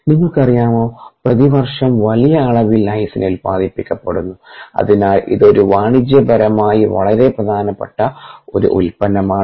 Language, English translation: Malayalam, you know, ah, large amounts of ah lysine are produced annually and therefore its a its commercially a very important product